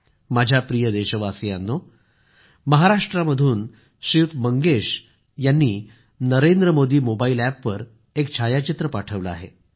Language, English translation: Marathi, My dear countrymen, Shri Mangesh from Maharashtra has shared a photo on the Narendra Modi Mobile App